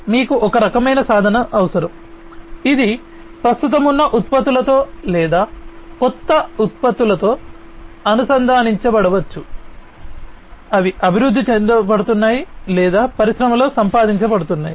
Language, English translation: Telugu, So, you need some kind of a tool which can be integrated with the existing products or the new products that are being developed or are being acquired and implanted in the industry